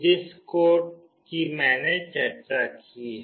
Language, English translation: Hindi, The code I have already discussed